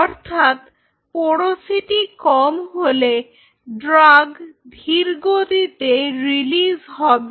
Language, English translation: Bengali, So, the porosity is less then automatically the release of the drug will be slow